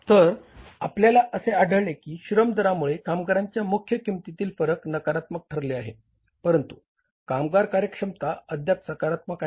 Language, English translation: Marathi, So, we found out that labor rate has caused the main labor cost variance being negative whereas the labor efficiency is still positive